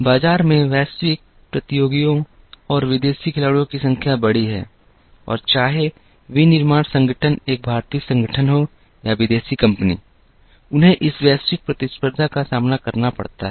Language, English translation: Hindi, The number of global competitors and foreign players in the market are large and whether the manufacturing organization is an Indian organization or a foreign company, they have to face this global competition